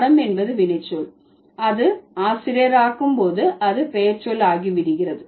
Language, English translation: Tamil, So teach is the verb and this verb when it becomes teacher it becomes a noun